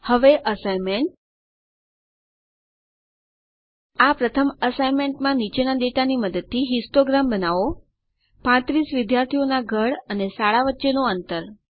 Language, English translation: Gujarati, Now to do assignments , In the first assignment create a histogram using the following data of a Distance between home and school for a class of 35 students